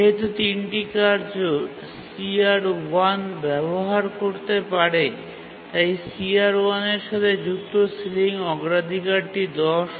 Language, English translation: Bengali, And since three tasks can use CR1, the sealing priority associated with CR1 is 10